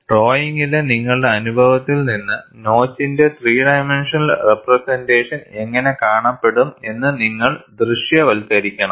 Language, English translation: Malayalam, You have to make a sketch and from your experience in drawing, you should visualize, how a three dimensional representation of the notch would look like